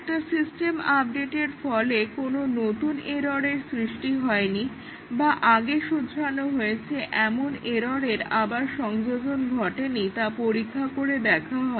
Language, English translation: Bengali, The regression testing is done to check that a system update does not cause new errors or reintroduce, errors that have been corrected earlier